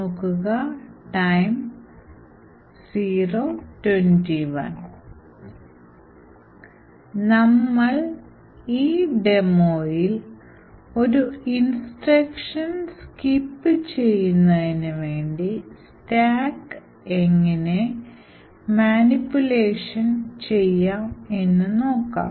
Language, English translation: Malayalam, So, in this demo will be showing how a stack can be manipulated to actually skip an instruction